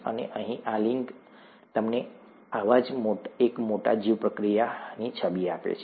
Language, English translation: Gujarati, And this link here gives you an image of one such large bioreactor